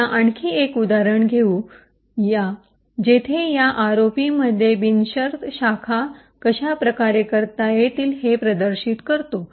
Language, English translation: Marathi, Now let us take another example where we demonstrate how unconditional branching can be done in ROP